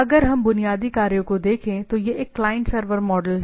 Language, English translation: Hindi, So, if we look at the basic operations so, it is a client server model